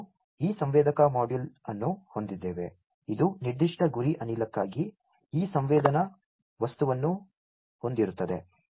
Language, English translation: Kannada, We have this sensor module, which will have this sensing material for a particular target gas